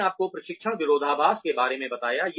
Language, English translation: Hindi, I told you about the training paradox